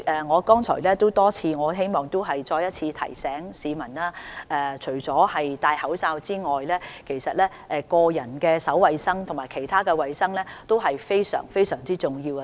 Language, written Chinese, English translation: Cantonese, 我亦希望再次提醒市民，除了佩戴口罩外，個人手部衞生及其他衞生也非常重要。, I wish to remind the public again that in addition to putting on a face mask hand hygiene and other personal hygiene are crucial too